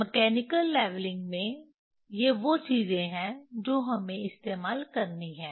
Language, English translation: Hindi, in mechanical leveling, this these are the things that we have to we have to use